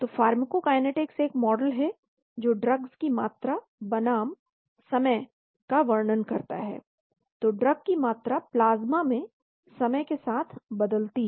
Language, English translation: Hindi, So pharmacokinetics a model describing drugs concentration versus time , so the drug concentration changes as a function of time in the plasma